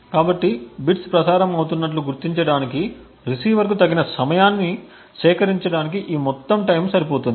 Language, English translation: Telugu, So, this would be long enough to procure the receiver sufficient amount of time to actually detect bits being transmitted